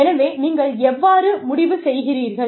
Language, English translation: Tamil, So, how will you decide